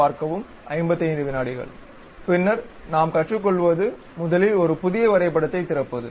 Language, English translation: Tamil, Then the first one what we are learning is opening a New drawing